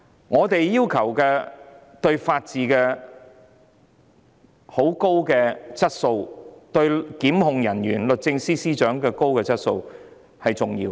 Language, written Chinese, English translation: Cantonese, 我們要求法治有很高的質素，也要求檢控人員及律政司司長有很高的質素，這點很重要。, We have high expectations of the rule of law and we also expect high quality to be demonstrated by the prosecutors and the Secretary for Justice . This is very important